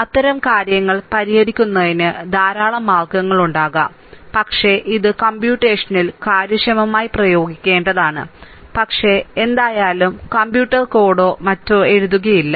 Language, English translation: Malayalam, There may be many method for solving such this thing, but we have to apply which will be computationally efficient, but any way we will not do any we will not write any computer code or anything